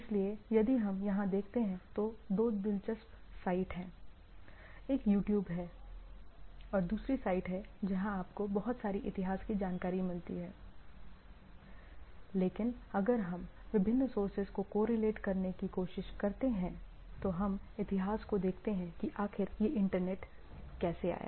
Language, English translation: Hindi, So, if you go to there are two interesting site one is a in a YouTube and also in another site where you get lot of history information, but if we try to correlate from different sources, if you see if you see that the history how this Internet came into picture